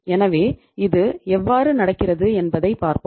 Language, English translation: Tamil, So we will see that how it happens